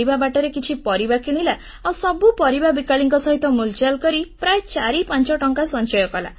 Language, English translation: Odia, On the way back, we stopped to buy vegetables, and again she haggled with the vendors to save 45 rupees